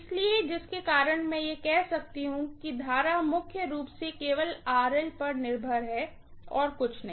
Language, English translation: Hindi, So, because of which I can say the current is mainly dependent upon RL only, nothing else, okay